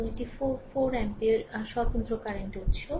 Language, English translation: Bengali, And this is your 4 ampere your independent current source